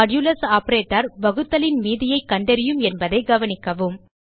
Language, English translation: Tamil, Please note that Modulus operator finds the remainder of division